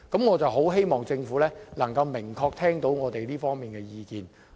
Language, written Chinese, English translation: Cantonese, 我真的希望政府能夠明確聽到我們這方面的意見。, I really hope the Government will listen to our views in this regards carefully